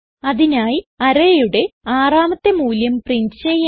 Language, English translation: Malayalam, So We shall print the sixth value in the array